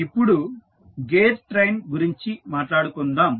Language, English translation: Telugu, Now, let us talk about the gear train